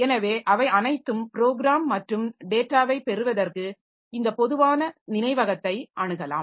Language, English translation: Tamil, So, they all access this common memory for getting the program and data